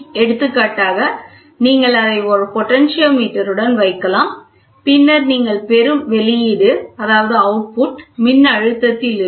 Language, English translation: Tamil, So, for example, you can put it with a potentiometer, and then what you get is output in voltage